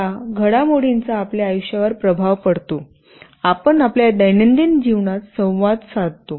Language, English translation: Marathi, These developments shall be influencing the way we live, we communicate in our daily life